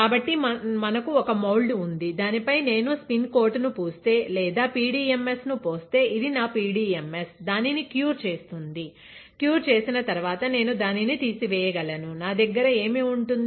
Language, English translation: Telugu, So, we have a mould, on which if I spin coat or if I pour PDMS, this is my PDMS and cure it; after curing I can strip it off, what will I have